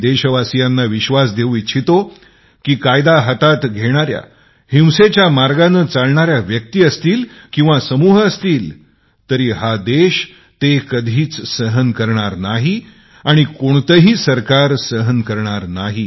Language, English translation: Marathi, I want to assure my countrymen that people who take the law into their own handsand are on the path of violent suppression whether it is a person or a group neither this country nor any government will tolerate it